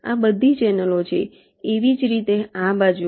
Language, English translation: Gujarati, these are all channels